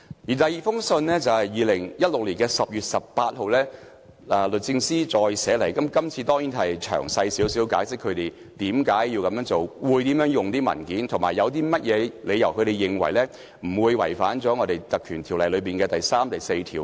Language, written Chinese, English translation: Cantonese, 律政司在2016年10月18日第二次致函立法會秘書處，較詳細解釋為何要這樣做、會怎樣使用文件，以及他們有何理據認為這樣做不會違反《條例》第3及4條。, In its second letter dated 18 October 2016 to the Legislative Council Secretariat DoJ explained in more detail why it had to do this how it was going to use the documents and the reasons why it considered that this would not violate sections 3 and 4 of the Ordinance